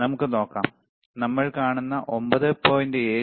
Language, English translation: Malayalam, So, let us see, right what we see is around 9